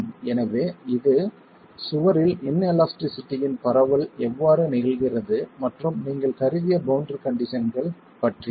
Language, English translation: Tamil, So, it is about how the propagation of inelasticity is occurring in the wall and the boundary conditions that you have assumed